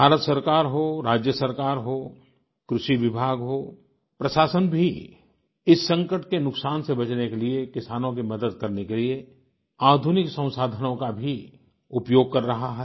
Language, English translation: Hindi, Be it at the level of the Government of India, State Government, Agriculture Department or Administration, all are involved using modern techniques to not only help the farmers but also lessen the loss accruing due to this crisis